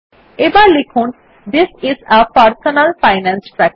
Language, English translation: Bengali, Now we type THIS IS A PERSONAL FINANCE TRACKER